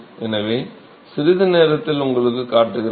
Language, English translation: Tamil, So, I will show you in a short while